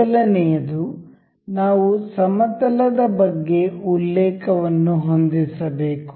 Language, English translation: Kannada, First one is we want to we have to set a reference about the plane